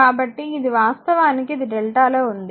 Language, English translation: Telugu, So, this actually it is in delta right